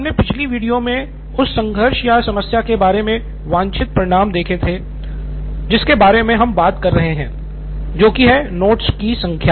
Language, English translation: Hindi, So in our last video, we’ve come up with a desired result for the conflict or the problem we were talking about, that is the number of notes shared